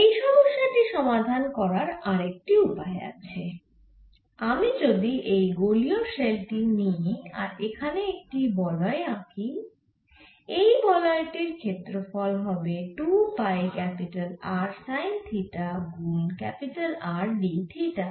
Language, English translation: Bengali, another way of looking at the answer for same problem would be if i take this spherical shell and consider a band here, this band has a, an area which is two pi r sin theta times r d theta is the total area of the band